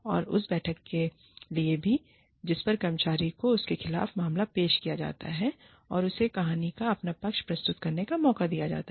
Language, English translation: Hindi, And, also for a meeting at which, the employee is presented with the case, against her or him, and given a chance to present, her or his side of the story